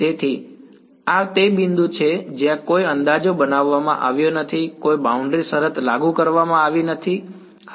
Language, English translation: Gujarati, So, this is the point where no approximations have been made, no boundary condition has been applied yeah